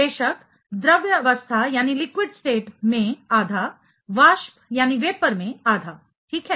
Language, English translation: Hindi, Of course, half in liquid state, half in vapor right